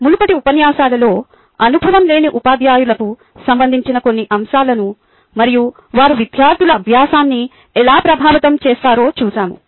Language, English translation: Telugu, in the past lectures previous lectures we looked at some aspects related to inexperienced teachers and how they could affect the learning by students